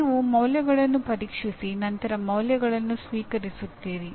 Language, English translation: Kannada, You examine the values and then accept the values